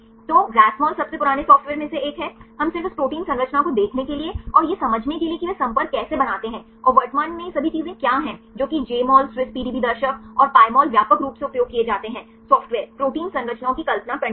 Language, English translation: Hindi, So, Rasmol is one of the oldest ones right we just to view this a protein structure to and to understand how they make the contacts and what are the interactions and all these things right currently Jmol, Swiss PDB viewer, and Pymol are widely used software to visualize protein structures